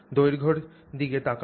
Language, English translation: Bengali, So, you look at the length